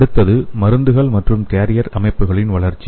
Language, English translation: Tamil, The next one is development of drugs and carrier systems